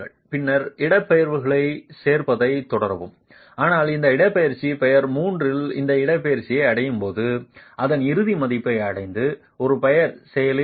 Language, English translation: Tamil, Then continue adding the displacements, but when you reach this displacement, at this displacement, peer 3 has reached its ultimate value